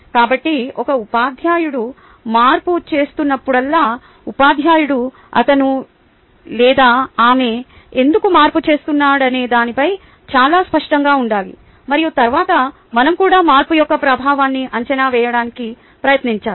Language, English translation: Telugu, ok, so whenever a teacher is making a change, teacher should be very clear as to why he or she is making the change, and then we should also try to evaluate the influence of the change